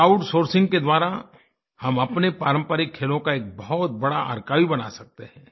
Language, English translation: Hindi, Through crowd sourcing we can create a very large archive of our traditional games